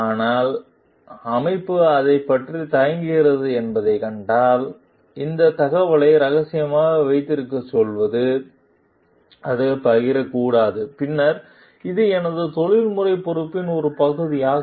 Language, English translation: Tamil, But if we see that the organization is reluctant about it its telling me to keep this information confidential, not to share it; then, it is a part of my professional responsibility